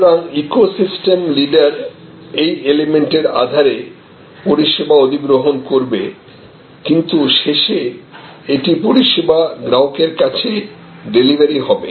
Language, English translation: Bengali, So, the eco system leader will acquire service on the basis of these elements and the, but it will be delivered to the ultimately to the service consumer